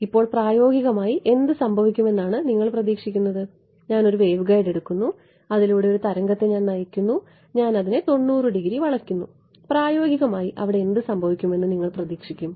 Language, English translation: Malayalam, Now, what do you expect physically to happen I take a waveguide its guiding a wave I bend it by 90 degrees what would you expect will happen physically